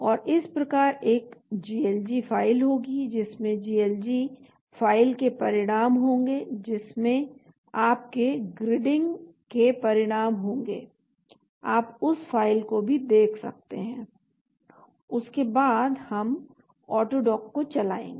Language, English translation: Hindi, And so there will be a GLG file which will have the results of the GLG file which will have the results of your gridding, you can have a look at that file as well, after that we will run the AutoDock,